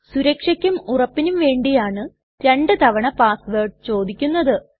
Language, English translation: Malayalam, The password is asked twice for security reasons and for confirmation